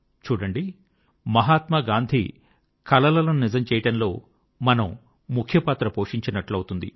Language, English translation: Telugu, And witness for ourselves, how we can play an important role in making Mahatma Gandhi's dream come alive